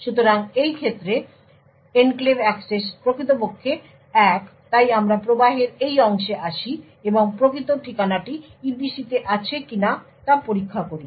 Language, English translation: Bengali, So in this case the enclave access is indeed 1 so we come to this part of the flow and check a whether the physical address is in the EPC yes